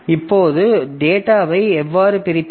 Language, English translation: Tamil, Now, how do you split the data